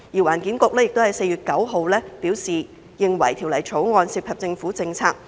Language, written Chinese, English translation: Cantonese, 環境局於4月9日表示，《條例草案》涉及政府政策。, The Environment Bureau advised on 9 April that the Bill was related to government policy